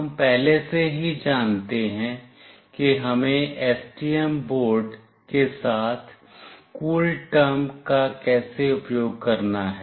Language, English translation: Hindi, We already know how we have to use CoolTerm with STM board